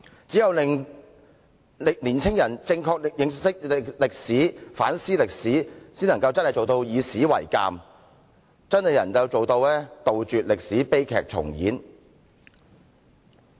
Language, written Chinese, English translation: Cantonese, 只有令青年人正確認識歷史，反思歷史，方能做到以史為鑒，杜絕歷史悲劇重演。, Only by allowing young people to clearly understand history and reflect on history can we learn lessons from history and stop tragedies from repeating themselves